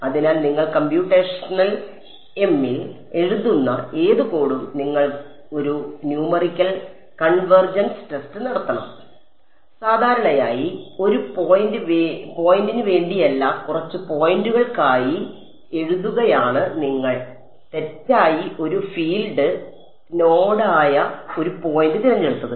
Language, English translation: Malayalam, So, any code that you write in computational em, you should have done one numerical convergence test and typically not just for one point, but for a few points why because it could happen that by mistake you chose a point which is actually a field node